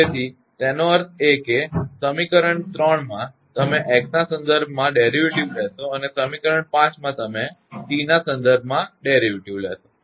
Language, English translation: Gujarati, So that means, equation 3 you take derivative with respect to x, and equation 5 you take derivative with respect to t